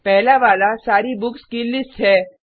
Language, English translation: Hindi, The first one is to list all the books